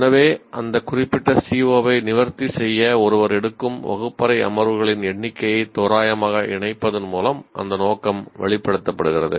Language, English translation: Tamil, So, that scope is indicated by associating the roughly the number of classroom sessions that one takes to address that particular C